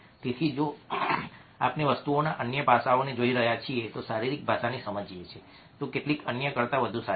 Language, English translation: Gujarati, so if we are looking at a other aspect of things understanding body language some are better than others